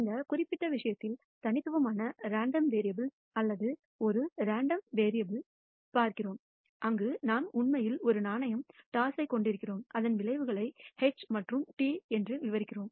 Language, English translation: Tamil, In this particular case we are looking at the discrete random variable or a random phenomena where we actually have a single coin toss whose outcomes are described by H and T